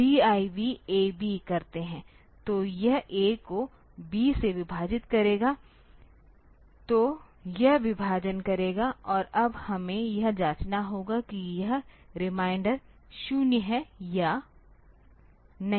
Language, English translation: Hindi, So, it will divide A by B, so it will do the division and now we have to check whether, so this reminder is 0 or not